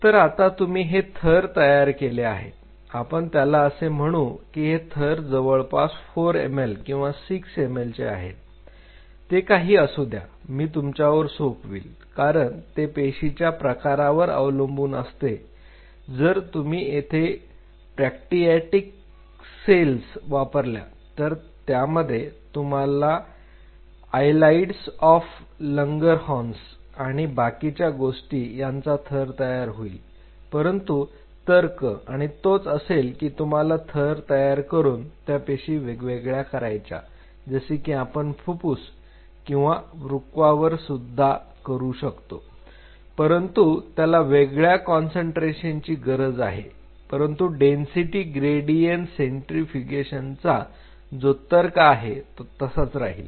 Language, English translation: Marathi, So, you make these layers on top of this layer you take say if you make this layer of say 4 ml or 6 ml whatever that I will leave it up to you because it depends on cell type two you are using if you are using the pancreatic cells you have to separate the you know islets of Langerhans and all those things you needed a different kind of layering, but logic is the same or you are using the layer cells or you want to separate out the cells of the lungs or kidney you need different concentrations, but the logic of density gradient centrifugation remains the same